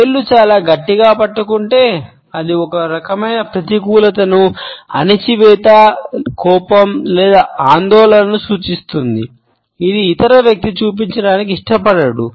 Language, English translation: Telugu, If the fingers are very tightly held then it suggests some type of negativity a suppressed anger or anxiety which the other person does not want to show